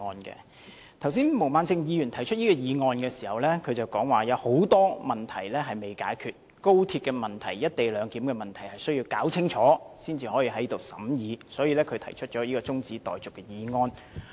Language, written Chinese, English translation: Cantonese, 剛才毛孟靜議員提出議案時表示，有很多問題未解決，高鐵問題和"一地兩檢"的問題需要先弄清楚才能在立法會審議，所以她提出中止待續的議案。, When proposing this adjournment motion Ms Claudia MO said that many problems were still unresolved and the problems with the Guangzhou - Shenzhen - Hong Kong Express Rail Link XRL must be sorted out before any discussion in the Legislative Council so she wanted to put forward this adjournment motion